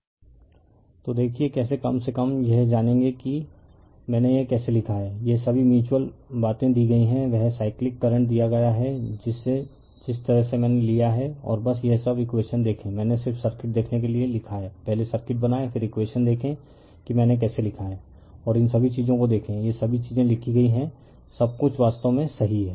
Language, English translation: Hindi, So, see how are you at least you will learn that, how I have written this all mutual things are given, they are cyclic current is given, the way I have taken right and just see this all this equations, I have written for you just see the circuit draw the circuit first, then you see the equations how I have written right and see all these things all these things written everything is actually correct